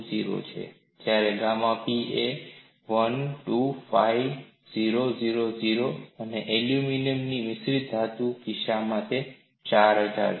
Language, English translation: Gujarati, 20 whereas, gamma P is 125000 and for the case of aluminum alloy it is 4000